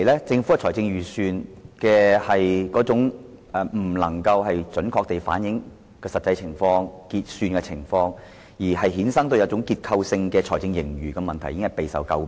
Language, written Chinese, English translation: Cantonese, 政府的財政預算未能準確反映實際情況，因而衍生的結構性財政盈餘問題一直備受詬病。, The failure of the Governments budget to accurately reflect its actual fiscal situation thereby leading to a structural problem of fiscal surplus has long been a cause of criticism